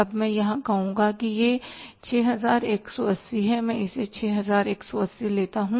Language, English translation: Hindi, Now I would say here it is 6 180